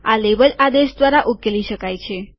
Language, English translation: Gujarati, This is solved by the label command